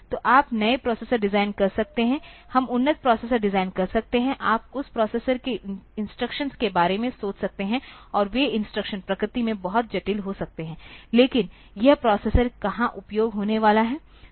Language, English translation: Hindi, So, you can design new processors, we can design advanced processors, you can think about the instructions that you have in that processor and those instructions may be very complex in nature, but where is this processor going to be utilized